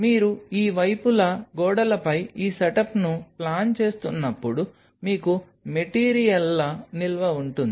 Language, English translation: Telugu, While you are planning this setup on the walls of these sides you will have storage of materials